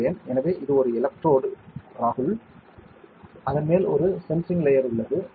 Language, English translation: Tamil, So, this is an electrode on top of which we have a sensing a layer, ok